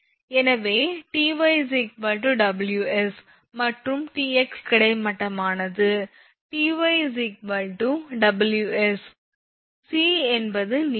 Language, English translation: Tamil, So, Ty is equal to Ws it is written here and Tx horizontal one, say Tx is equal to W c some c is some length right